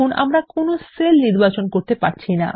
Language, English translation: Bengali, We are not able to select any cell